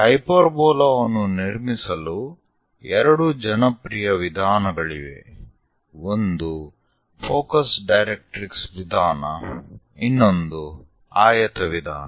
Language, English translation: Kannada, There are two methods quite popular for constructing hyperbola; one is focus directrix method, other one is rectangle method